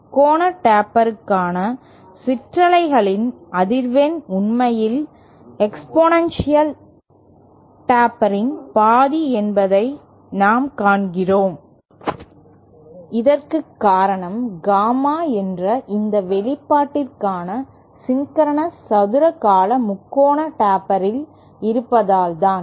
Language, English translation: Tamil, And we see that the frequency of the ripples for the triangular taper is actually half that of the exponential taper and this is because of the presence of the sync square term for this expression Gamma in of the triangular taper